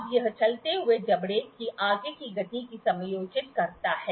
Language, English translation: Hindi, Now, this adjusts the further motion of the moveable jaw